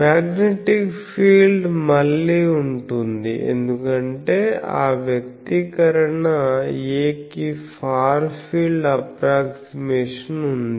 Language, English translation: Telugu, So, magnetic field will be again, we can put because that expression A is there far field approximation